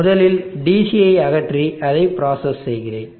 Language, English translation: Tamil, So first let me process it by removing DC